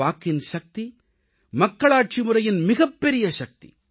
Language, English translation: Tamil, The power of the vote is the greatest strength of a democracy